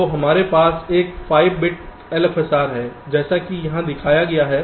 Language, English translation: Hindi, so we have a five bit l f s r as shown here